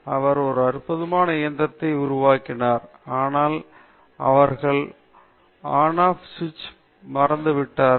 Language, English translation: Tamil, They built a such a wonderful machine, but they forgot the On Off switch